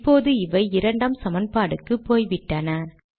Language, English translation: Tamil, Now this has become the third equation